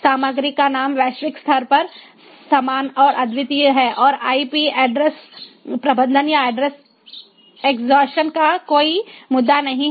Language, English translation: Hindi, the name of the content remains the same and unique globally and there is no issue of ip address management or address exhaustion